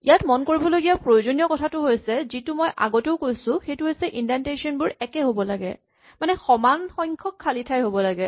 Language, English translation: Assamese, One thing we have emphasized before and, I will say it again is that this indentation has to be uniform; in other words, it must be the same number of spaces